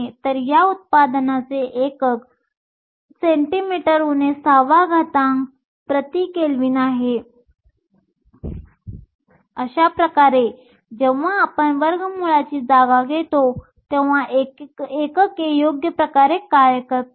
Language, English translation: Marathi, So, the unit of this product is centimeter to the power minus 6 Kelvin to the power minus 3 that way when we substitute for square root, units work out in the right way